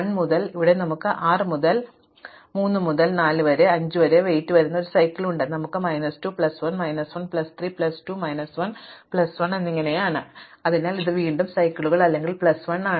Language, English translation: Malayalam, Similarly, here we have a cycle whose weight is if you go around from 6 to 3 to 4 to 5 we have minus 2 plus 1 is minus 1 plus 3 is plus 2 minus 1 is plus 1, so this is again cycle or plus 1